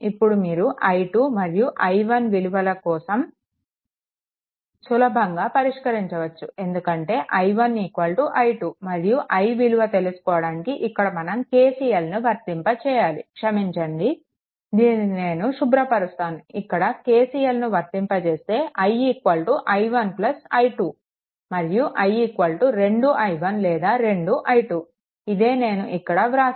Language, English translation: Telugu, So, right this is the first thing now you can easily solve your what you call for i 2 and i 1, because i 1 is equal to i 2 and i is that means, here if you apply KCL here i sorry, let me clear it if you apply KCL here, your i is equal to i 1 plus i 2 right, that is is equal to either 2 i 1, or is equal to 2 i 2 this is what has been written here